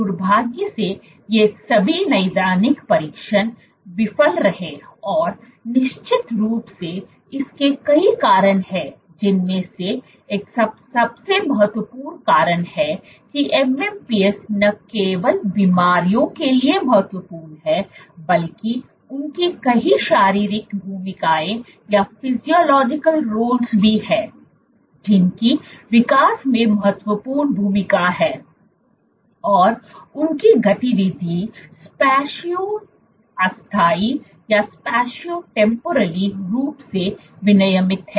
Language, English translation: Hindi, Unfortunately, all these clinical trials failed and of course, there are multiple reasons for it one of the most important reasons being MMPs are important not only for diseases, but they have multiple physiological roles also they have important roles in development and their activity is Spatio temporally regulated